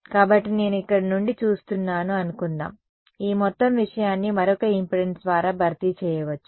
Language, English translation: Telugu, So, looking from either of suppose I look from here, this whole thing can be replaced by another impedance right